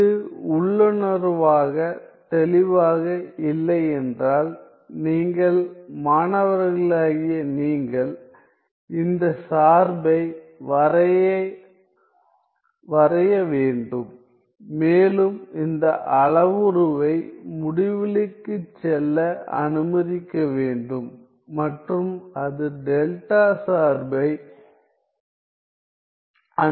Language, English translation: Tamil, If it is not intuitively clear, you students should plot this function and allow this parameter a to go to infinity and see that it approaches delta function